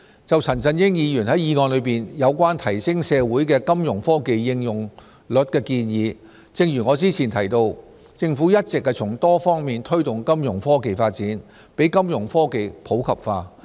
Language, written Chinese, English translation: Cantonese, 就陳振英議員在議案中有關提升社會的金融科技應用率的建議，正如我早前提到，政府一直從多方面推動金融科技發展，讓金融科技普及化。, Regarding Mr CHAN Chun - yings proposal of enhancing the rate of utilization of Fintech in our community as I said earlier the Government has been promoting the development of Fintech in various ways to promote Fintech inclusion